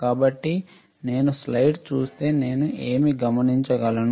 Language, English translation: Telugu, So, if I see the slide what can I find